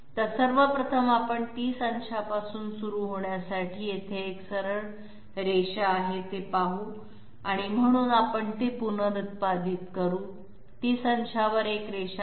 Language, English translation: Marathi, So first of all let s see we have a straight line here to start with at 30 degrees, so we reproduce it here, there is a line at 30 degrees